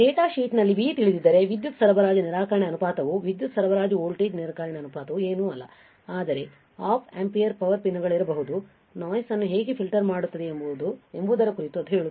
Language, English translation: Kannada, If you know V in the datasheet there was a power supply rejection ratio the power supply voltage rejection ratio is nothing, but it will tell how about how well the Op amp filters out the noise coming to the power pins right, there is a noise generated in the power pins also